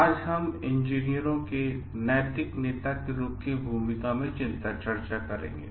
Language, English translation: Hindi, Today we will be focusing on role of engineers as moral leaders